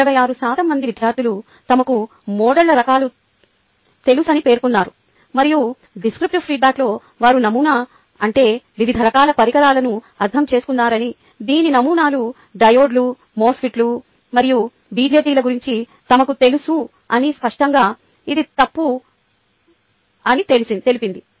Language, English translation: Telugu, sixty six percent of the students claimed that they knew the types of models and in the descriptive response said that by the types of models they understood the various devices whose models they were aware of, such as diodes, mosfets and bjts